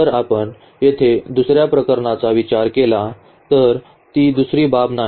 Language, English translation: Marathi, If we consider another case here for are not the another case